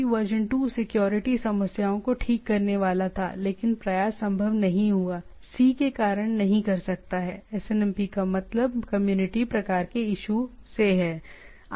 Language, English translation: Hindi, SNMPv2 was supposed to fix security problems, but effort, but could not the c is the SNMP stands for community type of issues